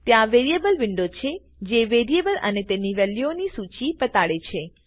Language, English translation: Gujarati, There is a Variables window that shows a list of variables and their values